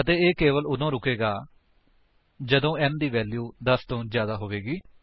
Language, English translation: Punjabi, And it will stop only when the value of n becomes greater than 10